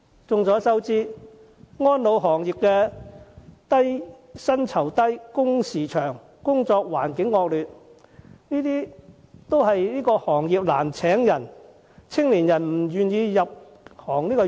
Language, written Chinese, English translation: Cantonese, 眾所周知，安老行業薪酬低、工時長、工作環境惡劣，導致該行業請人難，青年人都不願意入行。, As we all know the industry of elderly care services suffers from low pay long working hours and poor working conditions . These explain why it is so difficult for the industry to hire people and why young people do not want to join it